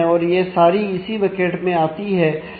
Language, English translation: Hindi, So, all of them have come to this bucket